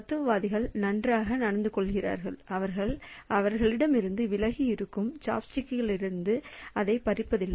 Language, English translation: Tamil, So, philosophers are well behaved so they do not snatch it from a chop stick which is away from them